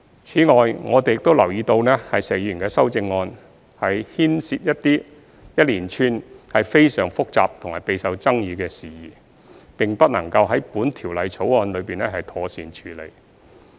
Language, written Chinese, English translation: Cantonese, 此外，我們留意到石議員的修正案，牽涉一連串非常複雜和備受爭議的事宜，並不能夠在《條例草案》中妥善處理。, Besides we note that Mr SHEKs amendment has raised a host of highly complicated and controversial issues that cannot be properly addressed in the Bill